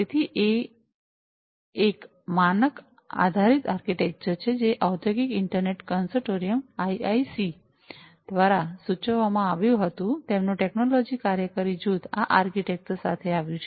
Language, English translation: Gujarati, So, it is a standard based architecture, which was proposed by the Industrial Internet Consortium – IIC, their technology working group came up with this architecture